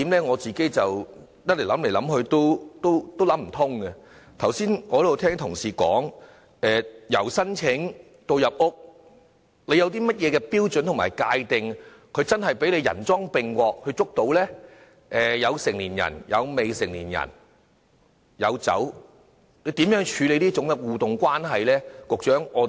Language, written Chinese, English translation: Cantonese, 我剛才聽到同事說由申請搜查令到進入住宅搜查，有甚麼標準來界定涉案者真的人贓並獲，可作拘捕呢？當中有成年人、未成年人，亦有酒類，如何處理這種互動關係呢？, I heard some Member ask the Government just now of the criteria to define a suspect who is caught red - handed and arrest can be made and how to define the interactive relationship at the scene where there will be adults and minors involving liquor